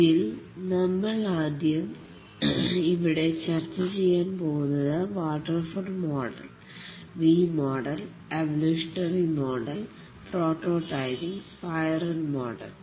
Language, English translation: Malayalam, We'll discuss about the waterfall, V model, evolutionary prototyping spiral model